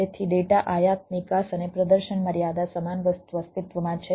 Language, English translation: Gujarati, so, data import, export and performance limitation, same thing exist